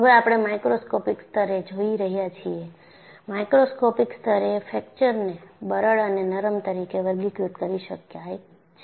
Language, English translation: Gujarati, We are now looking at the microscopic level; at the microscopic level, the fracture can be classified as brittle as well as ductile